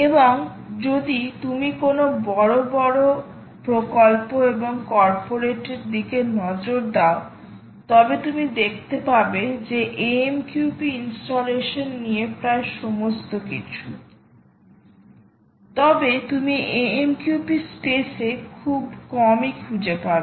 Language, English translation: Bengali, that is the key thing and if you look at any major, big, large projects and corporates, you will find that it is all about amqp installation, but hardly you will find anything in the mqtt space